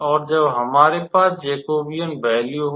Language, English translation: Hindi, So, now we can calculate this Jacobian here